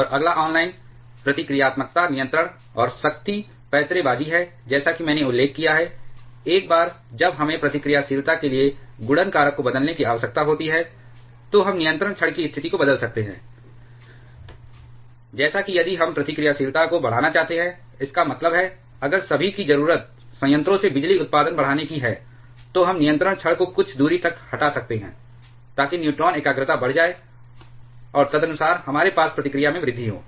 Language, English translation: Hindi, And next is online reactivity control and power maneuvering as I mentioned, once we need to change the multiplication factor for reactivity we can change the position of the control rods, like if we want to increase the reactivity; that means, if all need is to increase the power production from the reactor, then we can remove the control rod by certain distance so that the neutron concentration increases and accordingly we have an increase in reactivity